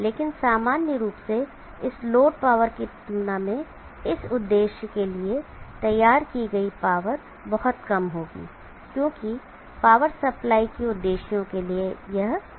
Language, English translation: Hindi, But in general compare to this load power, the power drawn for this purpose will be very low for power supply purpose will be low power